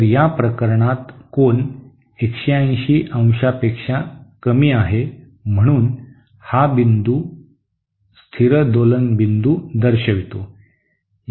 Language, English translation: Marathi, So in this case the angle is lesser than 180¡, therefore this point represents a stable oscillation point